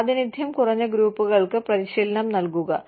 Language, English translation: Malayalam, Provide training to under represented groups